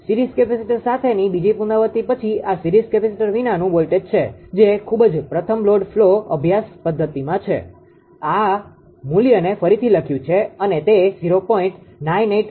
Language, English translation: Gujarati, After second iteration with series capacitor this is the voltage without series capacitor that is at the very fast load flow studies method one this value rewriting it is 0